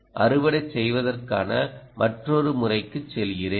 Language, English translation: Tamil, let me go into another mode of harvesting